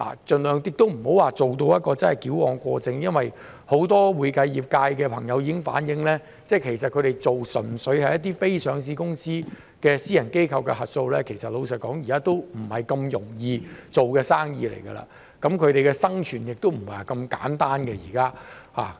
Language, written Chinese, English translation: Cantonese, 盡量不要做到矯枉過正，很多會計業界的朋友已經反映，他們做的純粹是非上市公司的私人機構的核數，老實說，現時已不是容易做的生意，他們的生存亦非那麼簡單。, We should refrain from overdoing things . Many of our friends in the accounting profession have already reflected that they are purely doing audit for private entities which are unlisted companies . Frankly speaking it is already not easy for them to do business and their survival is at stake